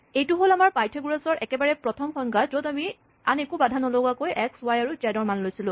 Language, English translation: Assamese, Here is our earlier definition of Pythagoras, where we had x, y, and z unconstrained